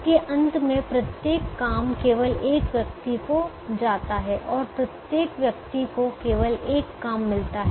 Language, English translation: Hindi, at the end of it, every job goes to only one person and every person gets only one job